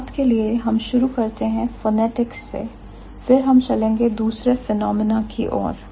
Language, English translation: Hindi, To begin with, we will start with phonetics, then we will move to the other phenomena